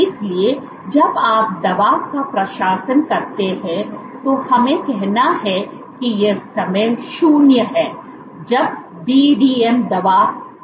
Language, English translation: Hindi, So, when you administer the drug let us say this is time 0 when the BDM drug has been added